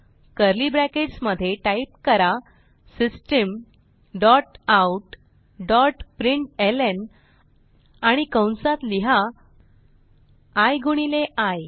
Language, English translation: Marathi, Inside the curly brackets type System dot out dot println and print i into i